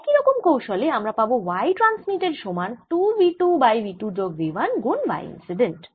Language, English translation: Bengali, ah, and you your going to get y transmitted is equal to two v two divided by v two plus v one y incident